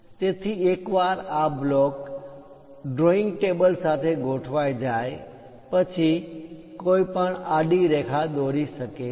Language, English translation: Gujarati, So, once this block is aligned with the drawing table, then one can draw a horizontal line